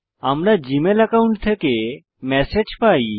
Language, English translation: Bengali, We have received messages from the Gmail account